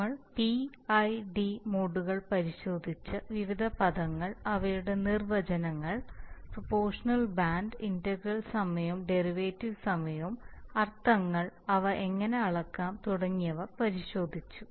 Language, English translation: Malayalam, So we looked at the P, I, and D modes and looked at the various terms, their definitions proportional band, integral time and derivative time, the meanings, how they can be measured, so and so then